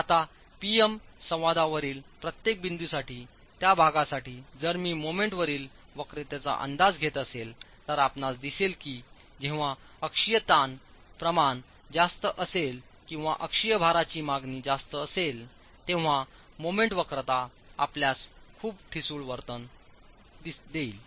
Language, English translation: Marathi, Now if for each point on the moment curvature, each point on the PM interaction, if for that section I am estimating the moment curvature, then you will see that the moment curvature when the axial stress ratios are high or the axial load demand is high, you will have very brittle behavior